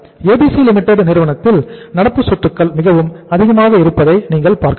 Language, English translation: Tamil, In ABC Limited the level of current assets is very high